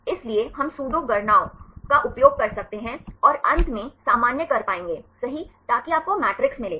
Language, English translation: Hindi, So, we can use the pseudo counts and finally normalize right you will get the matrix